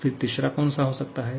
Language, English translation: Hindi, Then, what can be the third one